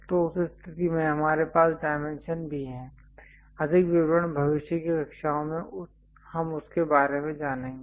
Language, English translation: Hindi, So, in that case we have inside dimension also, more details we will learn about that in the future classes